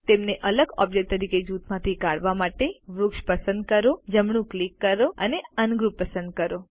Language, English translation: Gujarati, To ungroup them as separate objects, select the tree, right click and select Ungroup